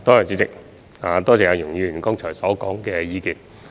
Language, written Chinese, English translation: Cantonese, 主席，多謝容議員剛才提出的意見。, President I thank Ms YUNG for the views expressed just now